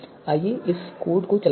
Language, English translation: Hindi, So let us run this code